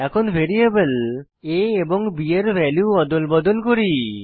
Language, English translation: Bengali, Let us swap the values of variables a and b